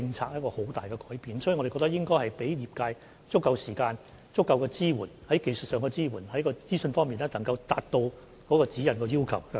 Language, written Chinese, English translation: Cantonese, 所以，我們認為應該給予業界足夠時間，以及在技術上作出支援，提供相關資訊，以達致《指引》的要求。, We thus hold that we should give the industry sufficient time and provide them with technical support and relevant information so as to help them comply with the requirements in GN